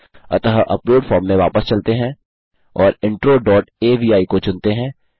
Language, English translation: Hindi, So lets go back to the upload form and lets choose intro dot avi